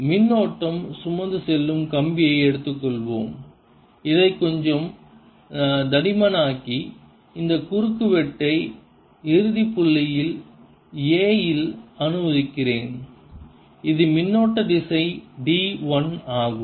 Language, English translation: Tamil, let me make it little thick and let this cross section at end point a and this is the current direction is d l right